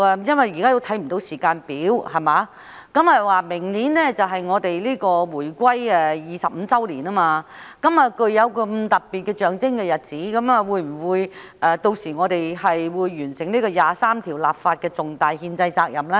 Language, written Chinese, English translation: Cantonese, 因為現時看不到時間表，而明年便是香港回歸25周年，在這個具有特別象徵意義的日子，我們會否完成第二十三條立法的重大憲制責任呢？, Since there is no timetable in sight and next year will mark the 25th anniversary of Hong Kongs reunification will we fulfil our major constitutional responsibility of enacting legislation on Article 23 on this date of special symbolic significance?